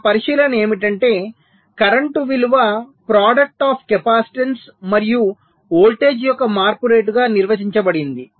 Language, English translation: Telugu, so our observation is: the value of current is defined as the product of the capacitance and the rate of change of voltage